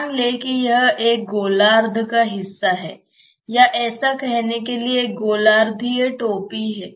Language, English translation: Hindi, Assume that it is a part of a hemisphere or like it is a hemispherical cap so to say